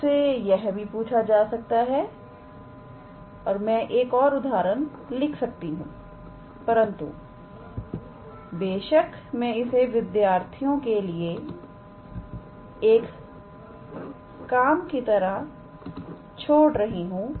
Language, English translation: Hindi, You can be asked I can write an another example, but I will of course, leave it as a task for the student